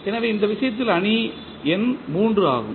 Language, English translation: Tamil, So, the matrix n in this case is 3